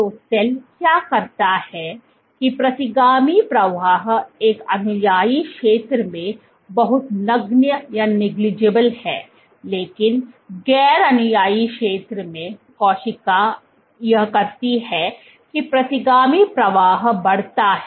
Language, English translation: Hindi, So, what the cell does is the retrograde flow is very negligible in an adherent zone, but what the cell does in the non adherent zone the retrograde flow increases